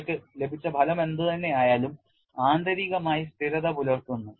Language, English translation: Malayalam, Whatever the result that we have got is internally consistent